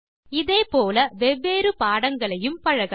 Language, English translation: Tamil, Similarly you can practice different lessons